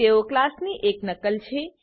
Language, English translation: Gujarati, They are the copy of a class